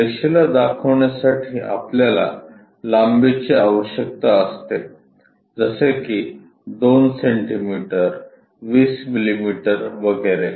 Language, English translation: Marathi, To represent a line, we require length something like it is 2 centimeters 20 mm and so on